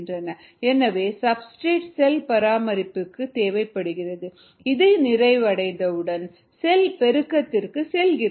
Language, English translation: Tamil, so the substrate goes for cell maintenance and ones this is satisfied, then it goes for cell multiplication